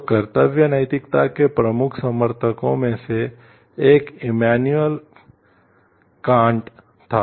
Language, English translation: Hindi, So, one of the major proponent of duty ethics was Immanuel Kant